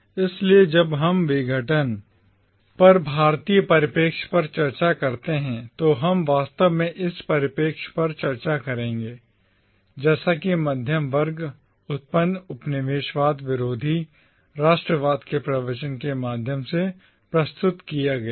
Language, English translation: Hindi, So, when we discuss the Indian perspective on decolonisation, we therefore will be actually discussing the perspective as presented through the nationalist discourse of anti colonialism generated by the middle class